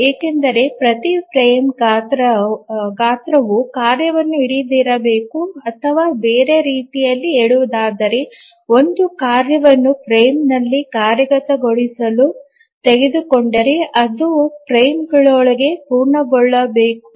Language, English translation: Kannada, If you remember why this is so, it's because every frame size must hold the task or in other words, if a task is taken up for execution in a frame, it must complete within the frame